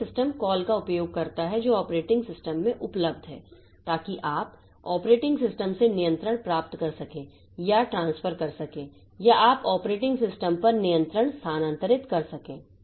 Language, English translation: Hindi, So, it uses calls available in the operating system so that you can get control from the operating system or you transfer or you can transfer control to the operating system